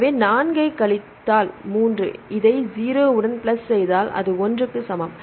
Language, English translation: Tamil, So, 4 minus 3 that is equal to plus 0 that is equal to 1